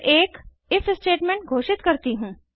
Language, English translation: Hindi, Then I declare an if statement